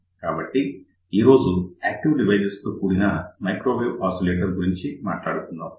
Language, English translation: Telugu, So, today we are going to talk about microwave oscillators using an active device